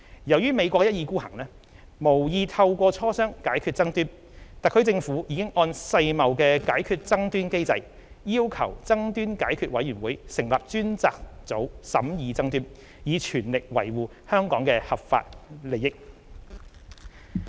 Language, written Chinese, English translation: Cantonese, 由於美國一意孤行，無意透過磋商解決爭端，特區政府已按世貿解決爭端機制，要求爭端解決委員會成立專家組審議爭端，以全力維護香港的合法利益。, As the US has not withdrawn the requirement and has no intention to resolve the dispute through consultations the HKSAR Government has in accordance with the WTO Dispute Settlement Mechanism requested the Dispute Settlement Body to establish a panel to consider the dispute in order to fully safeguard Hong Kongs legitimate interests